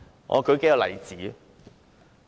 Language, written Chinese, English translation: Cantonese, 我舉數個例子。, I cite a few examples